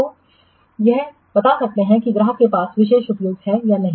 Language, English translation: Hindi, So it could specify that the customer has exclusively use or not